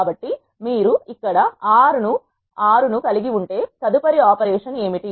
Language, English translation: Telugu, So, once you have 6 here what is the next operation